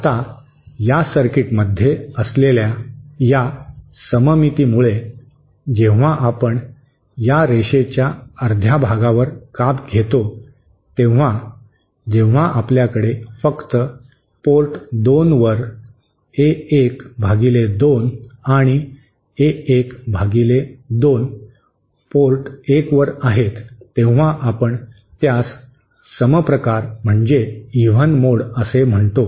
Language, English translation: Marathi, Now, because of this cemetery that is present in this circuit, when we cut it half along this line assume the case when we have only A1 upon 2 at port 2 and A1 upon 2 at port 1, that we call is even mode